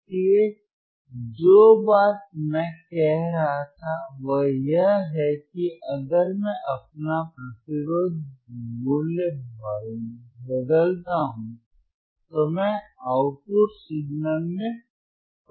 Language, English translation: Hindi, So, you so the point that I was making is if I if I change my resistance value, if my change my resistance value I, I could see the change in the output signal